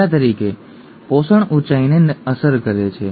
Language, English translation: Gujarati, For example nutrition affects height